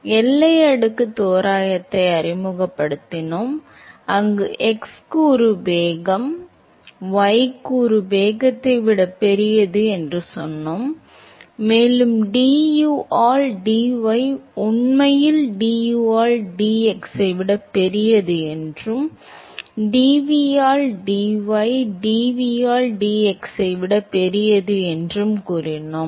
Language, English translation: Tamil, So, we introduced the boundary layer approximation, where we said that the x component velocity is much larger than the y component velocity, and we said that du by dy is actually larger than du by dx and dv by dy is larger than dv by dx